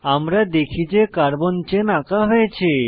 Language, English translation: Bengali, We see that carbon chain is drawn